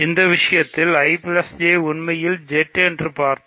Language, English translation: Tamil, So, in this case we saw that I plus J is actually Z; I intersection